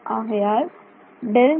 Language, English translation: Tamil, So, that is